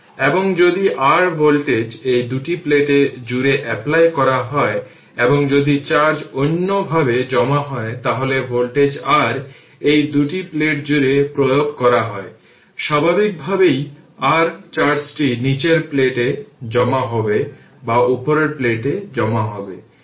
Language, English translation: Bengali, And if voltage your what you call that applied across the your these two plates, so and if charge gets accumulated in other way, so our voltage if you apply across this, your two plates naturally your what you call that your charge will your accumulate either at the bottom plate or at the top plate